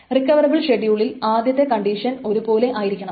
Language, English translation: Malayalam, In the recoverable schedule the first condition was the same